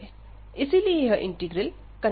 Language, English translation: Hindi, So, hence the given integral this also converges